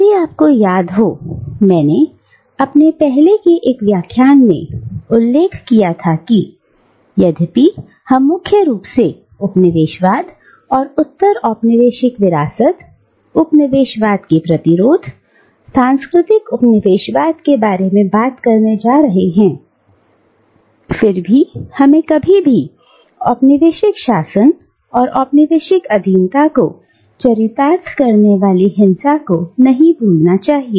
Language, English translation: Hindi, And, if you remember, I had mentioned in one of my earlier lectures, that although we are primarily going to talk about colonialism and postcolonial legacies, resistance to colonialism, etcetera, in terms of cultural colonisation and cultural resistance, nevertheless, we should never lose sight of the physical violence that characterised colonial rule and colonial subjugation